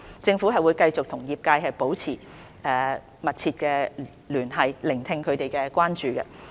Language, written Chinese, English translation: Cantonese, 政府會繼續與業界保持密切聯繫，聆聽他們的關注。, The Government will continue to maintain close liaison with the sector and listen to their concerns